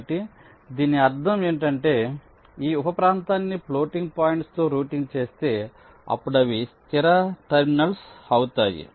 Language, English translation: Telugu, so once this sub region is routed, the floating points will become fixed terminals